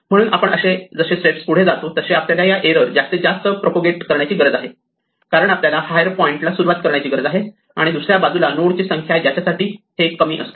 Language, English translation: Marathi, So, as we are going up the number of steps that we need to propagate this error goes higher and higher because we need to start at a higher point on the other hand the number of nodes for which this happens is smaller